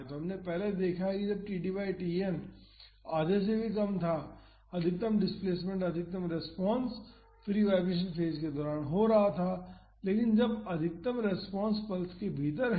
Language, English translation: Hindi, So, we have seen earlier that when td by Tn was less than half, the maximum displacement the maximum response was happening during the free vibration phase, but now the maximum response is within the pulse